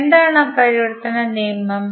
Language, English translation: Malayalam, What is that conversion rule